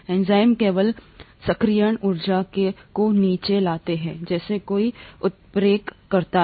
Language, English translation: Hindi, The enzymes just bring down the activation energy as any catalyst does